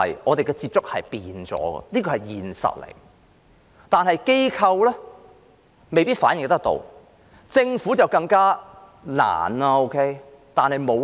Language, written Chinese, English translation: Cantonese, 我們的接觸有所改變，這是現實，但機構未必反映得到，政府便更加困難了。, It is a fact that our ways of contact have already changed but these changes are not necessarily reflected in the measures taken by the organizations not to mention the Government